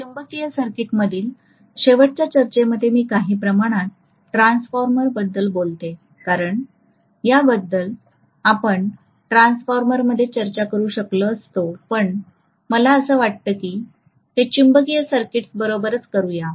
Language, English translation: Marathi, The last discussion in magnetic circuit further to some extent I am infringing into transformer because these things we could have discussed in transformer but I thought let me do it along with magnetic circuits